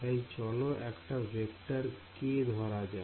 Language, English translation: Bengali, So, this is my k vector